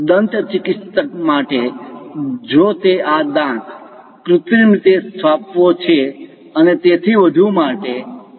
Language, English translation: Gujarati, For a dentist, if he wants to make these teeth, artificial implants and so on